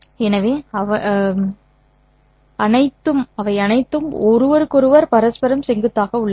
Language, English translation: Tamil, So they are all mutually perpendicular to each other